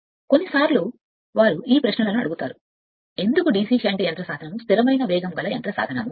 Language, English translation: Telugu, Sometimes they ask these questions that why DC shunt motor is a constant speed motor